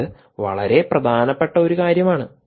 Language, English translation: Malayalam, this is important